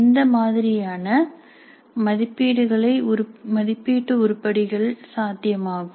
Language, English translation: Tamil, What kind of assessment items are possible